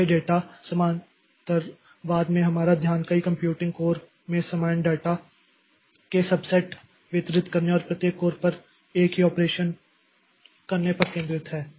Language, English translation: Hindi, So, data parallelism, the focus is on distributing subsets of same data across multiple computing codes and performing the same operation on each code